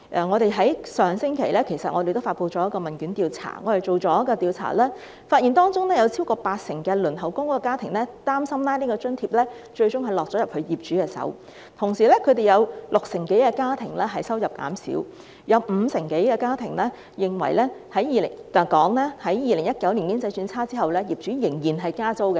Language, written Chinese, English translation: Cantonese, 我們在上星期發布了一項問卷調查，發現當中有超過八成輪候公屋的家庭擔心這項津貼最終會落入業主手中；同時，有六成多的家庭收入減少，亦有五成多家庭表示，在2019年經濟轉差後，業主仍然加租。, In a questionnaire survey released by us last week we found that among the respondents more than 80 % of the families waiting for PRH worried that this allowance would ultimately go to the landlords . Moreover 60 % of the families suffered from a reduction in income and more than 50 % of the families indicated that after the economy worsened in 2019 the landlords still raised the rent